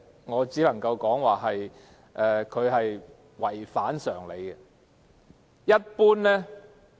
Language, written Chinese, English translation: Cantonese, 我只能說她的話違反常理。, I can only say her remarks are a far cry from common sense